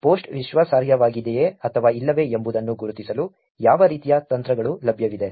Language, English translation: Kannada, What kind of techniques are available to actually identify whether the post is credible or not